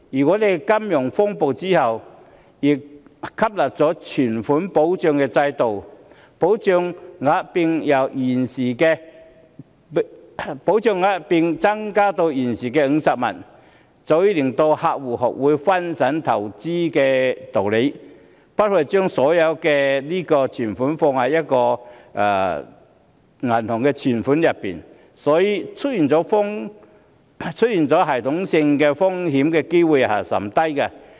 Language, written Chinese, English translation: Cantonese, 我們在金融風暴後引入了存款保障制度，保障額並增至現時的50萬元，早已令客戶學會分散投資風險的道理，不會把所有的雞蛋放在同一個銀行戶口內，所以，出現系統性風險的機會率甚低。, With the launch of the Deposit Protection Scheme after the financial turmoil and the maximum protection increased to 500,000 depositors are well adapted to the idea of investment risk diversification . They will not put all their money in one bank account . The risk of a systemic failure is thus very low